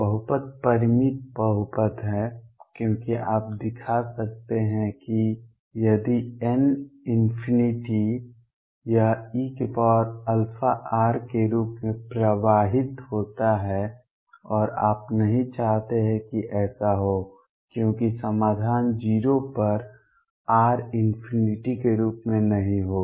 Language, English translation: Hindi, The polynomial is finite polynomial because you can show if n tends to infinity this blows up as e raise to plus alpha r and you do not want that to happen, because solution would not be going to 0 as r tends to infinity